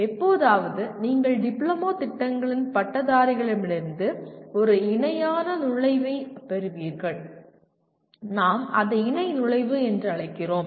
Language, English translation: Tamil, Occasionally you get a parallel entry from the graduates of diploma programs, we call it parallel entry